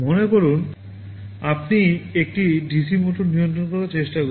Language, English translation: Bengali, Suppose you are trying to control a DC motor